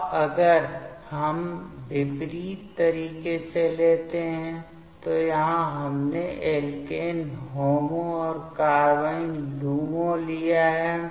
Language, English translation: Hindi, Now, if we take in opposite way, here we have taken alkene HOMO and carbene LUMO